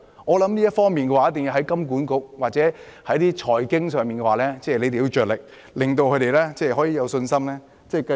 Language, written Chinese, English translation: Cantonese, 我認為這方面一定要從金融管理局或財經範疇着手，令他們可以有信心這樣做。, In my view the authorities must start their work with the Hong Kong Monetary Authority or from the financial aspect so that the landlords will have the confidence in doing this